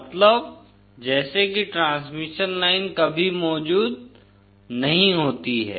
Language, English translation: Hindi, Means as if the transmission line is never present